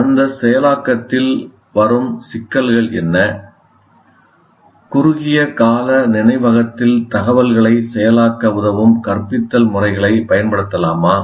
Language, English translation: Tamil, In that processing, what are the issues that come and whether we can use instructional methods that facilitate the what we call processing the information in the short term memory